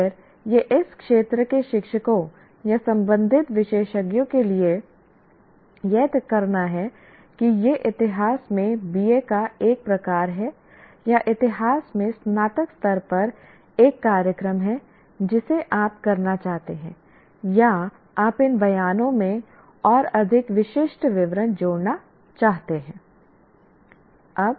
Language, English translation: Hindi, Again, it is for the teachers or the concerned experts in this area to decide whether this is a kind of BA in history or a program at undergraduate level in history that you want to do or you want to add more specific details into these statements